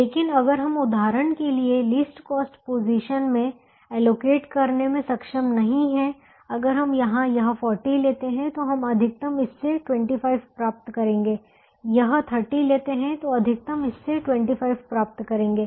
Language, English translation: Hindi, but if we are not able to allocate in the least cost position for example, if we take here this forty maximum we would like to get from this twenty five, this thirty maximum we would like to get from this twenty five